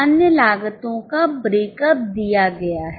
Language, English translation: Hindi, The breakup of other costs is given